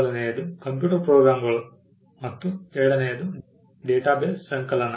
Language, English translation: Kannada, The first one is computer programs and the second one is data bases compilation of database